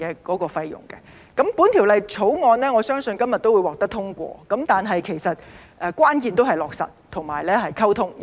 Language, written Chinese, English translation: Cantonese, 我相信《條例草案》今日會獲得通過，但關鍵是落實和溝通。, I believe the Bill will be passed today but the key is implementation and communication . As a matter of fact it is a major feat